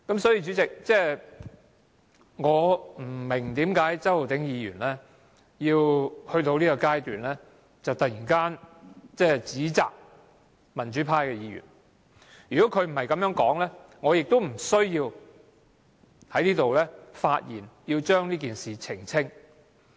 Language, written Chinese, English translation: Cantonese, 主席，我不明白為何周浩鼎議員在現階段突然指責民主派議員，如果他不是這樣說，我亦無須在這裏發言澄清。, President I do not understand why Mr Holden CHOW suddenly berated pro - democracy Members at this time . If he had not made such remarks I would not have to speak to make clarifications